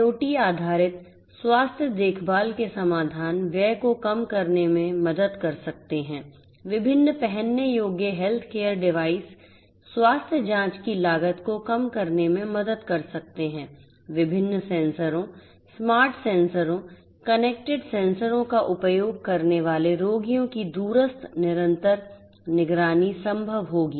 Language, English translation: Hindi, IIoT based solutions for health care can help in reducing the expenditure; different wearable health care devices can help in reducing the cost of health checkup; remote continuous monitoring of patients using different sensors, smart sensors, connected sensors would be made possible